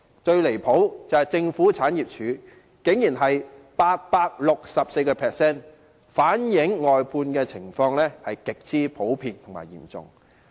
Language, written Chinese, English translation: Cantonese, 最離譜的是政府產業署，其比率竟然是 864%， 反映外判情況極為普遍和嚴重。, The most outrageous case was GPA where the percentage was 864 % reflecting the prevalence and severity of outsourcing